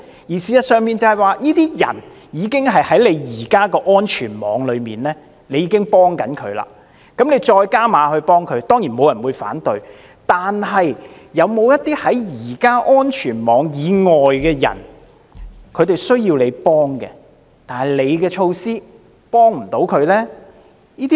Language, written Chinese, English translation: Cantonese, 事實上，這些人已經在目前的安全網中，接受援助，政府想再加碼幫他們，當然沒有人會反對，但是否有些目前在安全網以外的人，更需要政府的幫助，但措施卻幫不了他們呢？, In fact the target groups concerned are already in the existing safety net and are receiving assistance . If the Government wants to beef up assistance to these people surely no one will oppose it . However are there people outside the safety net who need government help but are unable to benefit from these measures?